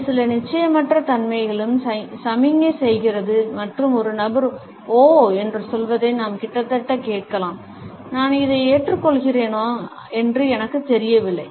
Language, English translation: Tamil, It also signals certain uncertainty and we can almost hear a person saying oh, I am not sure whether I agree with it